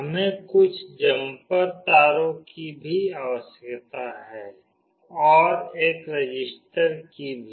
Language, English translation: Hindi, We also require some jumper wires, and a resistor